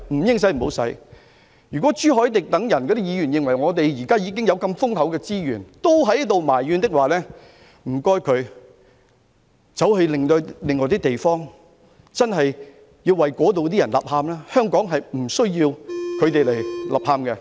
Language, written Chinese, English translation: Cantonese, 如果朱凱廸議員等人在現時資源如此豐厚之際也要埋怨，請他們到其他地方為當地的人吶喊，香港無須他們吶喊。, If Mr CHU Hoi - dick and his likes still have to complain when we have such abundant resources I would urge them to go elsewhere and shout aloud for the people there . Here in Hong Kong there is no need for them to shout aloud